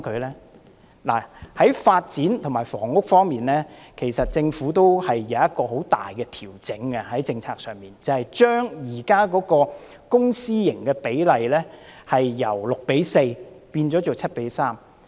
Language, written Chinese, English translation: Cantonese, 在發展和房屋方面，其實政府在政策上有很大的調整，那便是將現時的公私營房屋比例由 6：4 變成 7：3。, Concerning development and housing the Government has actually made significant policy adjustment by raising the existing publicprivate split for the supply of housing units from 6col4 to 7col3